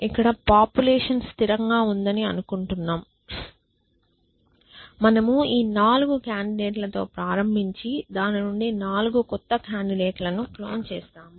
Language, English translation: Telugu, We are not doing that we are assuming here that the population remains constant that we start with this 4 candidates and clone 4 new candidates out of it